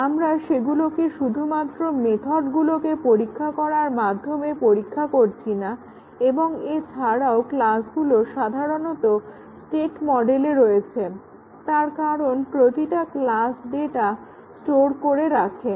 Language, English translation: Bengali, We are not testing those just by testing the methods and also the classes typically have state models, since they store data every class stores data the classes